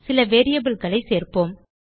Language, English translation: Tamil, Let us add some variables